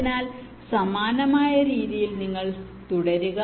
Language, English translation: Malayalam, so in a similar way you proceed